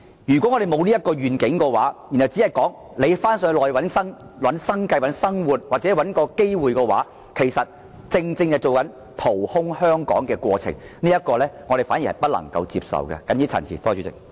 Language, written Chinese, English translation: Cantonese, 如果香港沒有這個願景，只建議香港人到內地尋找生計或機遇的話，其實正正是掏空香港的行為，這是我們絕對不能接受的。, If Hong Kong lacks such vision and merely advises Hong Kong people to seek livelihood or opportunities on the Mainland this is actually an act of scooping Hong Kong empty which is absolutely unacceptable to us